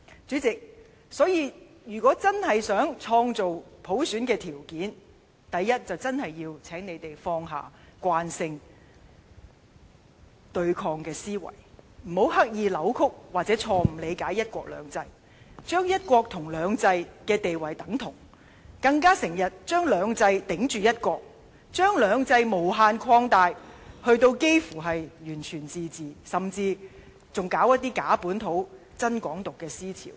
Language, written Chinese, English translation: Cantonese, 主席，如果真正希望創造普選的條件，第一，請他們真要放下慣性對抗的思維，不要刻意扭曲或錯誤理解"一國兩制"，將"一國"和"兩制"的地位等同，更經常用"兩制"抵着"一國"，將"兩制"無限擴大至差不多完全自治，甚至推行一些假本土，真"港獨"的思潮。, President if they honestly wish to create conditions for universal suffrage they really have to first abandon their habit of confrontation and stop wilfully distorting or wrongly interpreting the principle of one country two systems . They must stop equalizing the status of one country and two systems while frequently using two systems as a means to resist one country . Above all they should no longer enlarge two systems infinitely almost to the extent of total autonomy or even advocating an ideology of Hong Kong independence on the pretence of localism